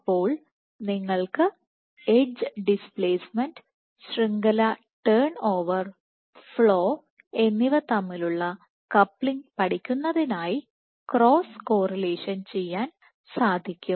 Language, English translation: Malayalam, So, you can do cross correlation to study the coupling between edge displacement network turn over and flow